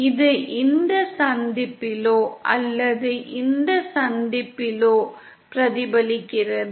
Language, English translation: Tamil, That is it’s reflected either at this junction or at this junction